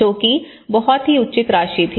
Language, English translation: Hindi, So, which was very reasonable amount of cost